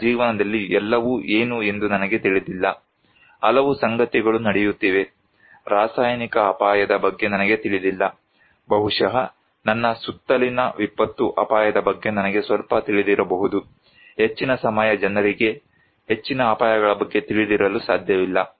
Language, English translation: Kannada, I do not know what everything in my life, there is so many things are happening, I do not know about a chemical risk maybe I know little about disaster risk around me, most people cannot be aware of the most of the dangers most of the time